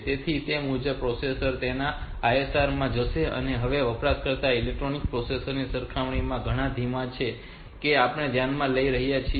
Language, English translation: Gujarati, So, accordingly the processor will go into the ISR for that, now this users are much slower compared to this is the electronic processor that we have considering